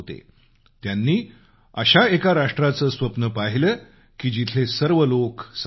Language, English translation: Marathi, He conceived a nation where everyone was equal